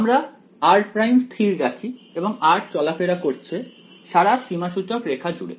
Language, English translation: Bengali, Let us say r prime is fixed over here and r is running over the entire contour